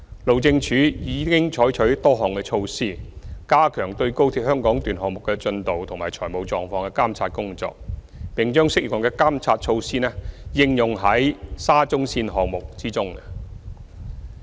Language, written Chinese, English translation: Cantonese, 路政署已採取多項措施，加強對高鐵香港段項目的進度及財務狀況的監察工作，並把適用的監察措施應用於沙中線項目中。, HyD has implemented a number of measures to enhance the monitoring of the progress and financial status of the XRL project and applied such monitoring measures where applicable to the SCL project